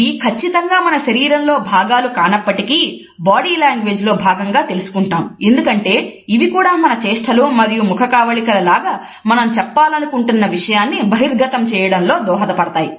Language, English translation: Telugu, This is not exactly a part of our body, but at the same time we study it is a part of body language because like our body gestures and postures etcetera, it is an extension of what we want to say